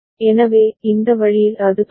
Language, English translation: Tamil, So, this way it will continue